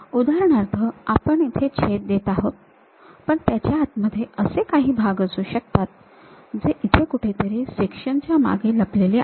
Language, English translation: Marathi, For example, we are making a slice here, but there might be internal parts which are hidden; somewhere here behind the section there might be internal parts